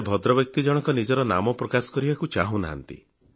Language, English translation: Odia, The gentleman does not wish to reveal his name